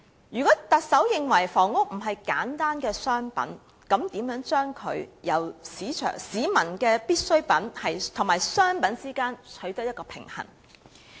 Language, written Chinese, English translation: Cantonese, 如果特首認為房屋並非簡單的商品，那麼，應如何在市民的必需品與商品之間取得平衡？, If the Chief Executive considers that housing is not simply a commodity then how should a balance be struck between the peoples necessities and commodities?